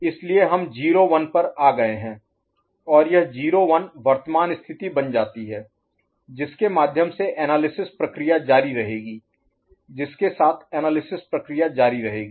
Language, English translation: Hindi, So we have come to 0 1 and that 0 1 becomes the current state, okay, through which the analysis process will continue with which the analysis process will continue